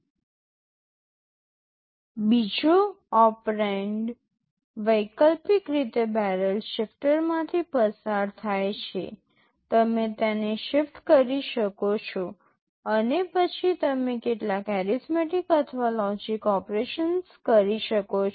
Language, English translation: Gujarati, The second operand optionally goes through the barrel shifter, you can shift it and then you can do some arithmetic or logic operations